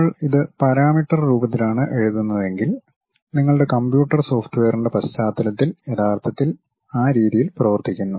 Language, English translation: Malayalam, And, if we are writing it in parameter form so, the background of your or back end of your computer software actually works in that way